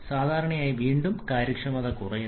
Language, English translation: Malayalam, Generally we have again and decreasing the efficiency